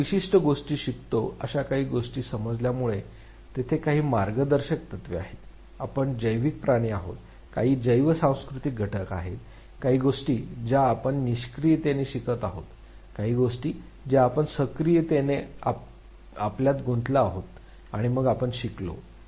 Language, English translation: Marathi, Having perceived things we learn certain things, there are certain guiding principles, we are biological creatures, there are some certain bio cultural factors, certain things which we passively learn, certain things that we actively engage our self and then we learned